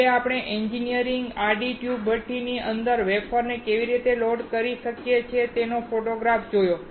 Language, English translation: Gujarati, Finally, we saw the photograph of how the engineer is loading the wafer inside the horizontal tube furnace